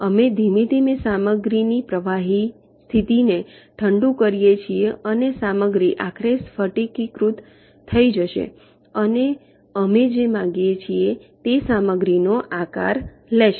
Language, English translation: Gujarati, we slowly cool the liquid state that material and the material will be finally crystallizing and will take the shape of the material that we want it to have